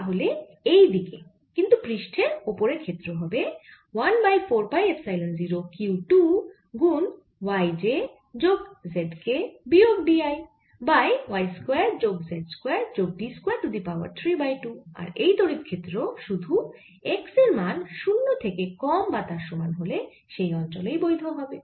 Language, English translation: Bengali, so on this side, but still on the surface, is going to be one over four, pi epsilon zero, q two, y j plus z k minus d i, divided by y square plus z square plus d square raise to three by two